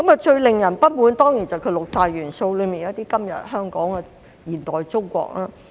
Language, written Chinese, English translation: Cantonese, 最令人不滿的，當然是六大單元中的"今日香港"和"現代中國"。, Of the six modules the most dissatisfying are certainly Hong Kong Today and Modern China